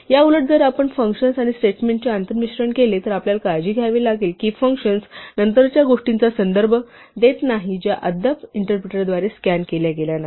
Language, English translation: Marathi, Whereas, if we do this inter mixing of functions and statements then we have to be careful that functions do not refer to the later things which have not been scanned yet by the interpreter